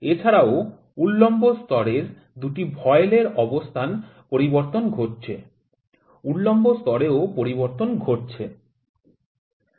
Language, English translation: Bengali, And also the 2 voiles for the vertical level as well 2 voiles to see the vertical level as well